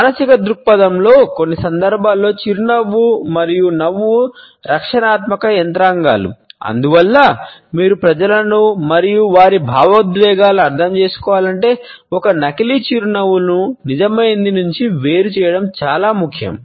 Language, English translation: Telugu, From a psychological point of view, in some situations smile and laughter are defensive mechanisms, it is why distinguishing a fake smile from a genuine one is important if you want to understand people and their emotions